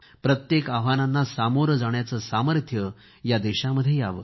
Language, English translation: Marathi, May our nation be blessed with the strength to face any challenge